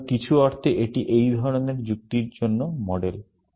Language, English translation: Bengali, So, in some sense, this is the model for doing this kind of reasoning